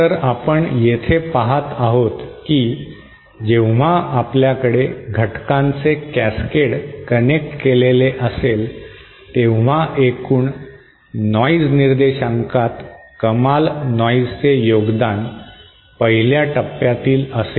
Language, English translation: Marathi, So what we see here is that when we have a cascade of elements connected, the highest noise contribution to the overall noise figure is from the 1st stage